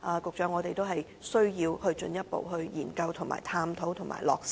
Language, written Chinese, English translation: Cantonese, 局長，我們需要進一步研究、探討和落實。, Secretary we need to further study examine and implement the relevant arrangements